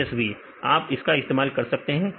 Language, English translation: Hindi, Plus csv; you can use it